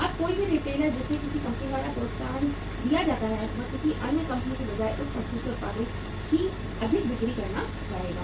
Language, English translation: Hindi, Now any retailer who is given a incentive by a company he would like to sell more of the products of that company rather than of any other company